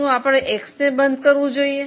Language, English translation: Gujarati, Is it better to close X